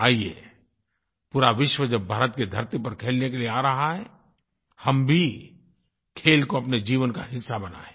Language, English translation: Hindi, Come on, the whole world is coming to play on Indian soil, let us make sports a part of our lives